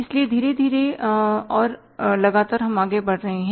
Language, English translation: Hindi, So, slowly and steadily we are moving forward